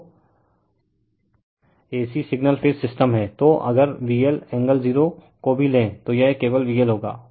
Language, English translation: Hindi, So, if you take V L angle 0 also, it will be V L only right